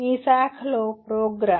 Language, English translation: Telugu, program in your branch